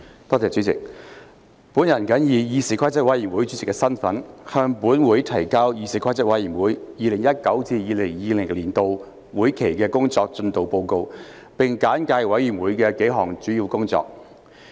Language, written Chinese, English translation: Cantonese, 我謹以議事規則委員會主席的身份，向本會提交議事規則委員會 2019-2020 年度會期的工作進度報告，並簡介委員會的幾項主要工作。, In my capacity as Chairman of the Committee on Rules of Procedure I submit to this Council the progress report of the Committees work during the legislative session of 2019 - 2020 . I will highlight several items of work of the Committee